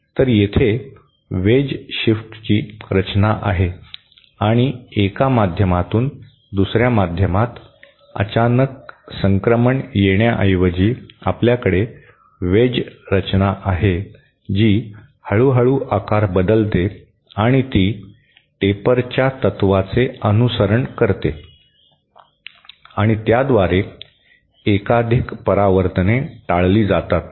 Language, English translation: Marathi, So, here, this is a wedge shift structure and instead of having a very abrupt transition from one media to another, you have a wedged structure which gradually changes shape and it follows the principle of the taper and thereby avoids multiple reflections